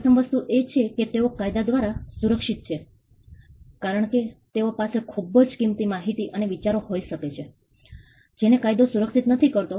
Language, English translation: Gujarati, The first thing is that they are protectable by law that is the first thing, because they could be very valuable information and idea which the law does not protect